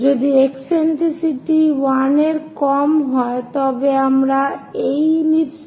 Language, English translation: Bengali, If that eccentricity is greater than 1, we get a hyperbola